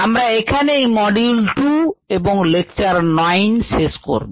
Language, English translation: Bengali, this concludes ah, module two and this is lecture nine